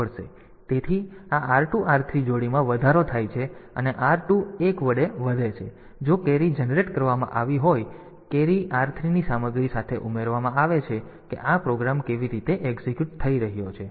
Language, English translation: Gujarati, So, so this r 2 r 3 pair is incremented and r 2 is incremented by 1, if a carry has been generated that carry gets added with the content of r 3 that is how this program is executing